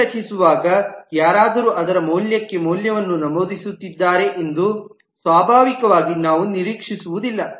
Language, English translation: Kannada, Naturally we do not expect that while the leave is created, somebody is entering a value for its value